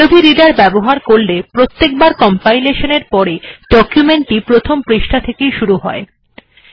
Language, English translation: Bengali, IF you use adobe reader, after every compilation, the file always opens in the first page